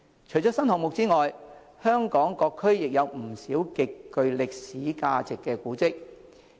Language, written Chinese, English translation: Cantonese, 除了新項目外，香港各區亦有不少極具歷史價值的古蹟。, Apart from the implementation of new projects monuments with historical value can be found in many districts throughout the territory